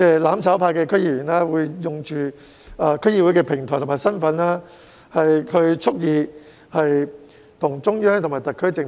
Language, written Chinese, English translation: Cantonese, "攬炒派"區議會議員利用區議會的平台及其身份，蓄意對抗中央和特區政府。, DC members championing mutual destruction have used the DC platform and their capacity to deliberately resist the Central Authorities and the SAR Government